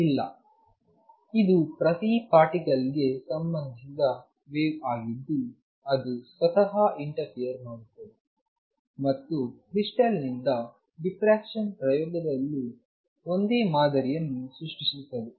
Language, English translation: Kannada, No, it is the wave associated with each particle single particle that interference with itself and creates a pattern same thing in the crystal diffraction experiment also